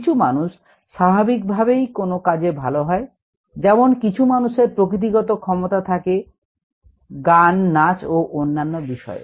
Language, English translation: Bengali, some people would be naturally good at it, as have some people who a who have a natural ability in a music, in dance and so on, so forth